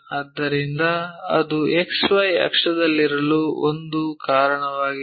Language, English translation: Kannada, So, that is a reason it is on XY axis